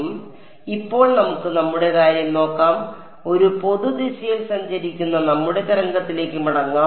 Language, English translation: Malayalam, So, now, let us let us look at our let us go back to our wave that is travelling in a general direction k hat ok